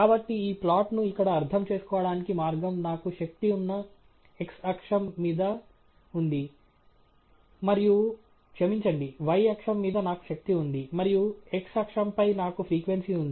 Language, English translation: Telugu, So, the way to interpret this plot here is on the x axis I have power, and on the… sorry, on the y axis I have power, and the x axis I have frequency